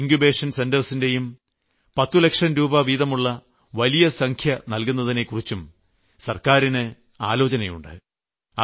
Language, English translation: Malayalam, And when I talk of Atal Incubation Centres, the government has considered allocating the huge sum of 10 crore rupees for this also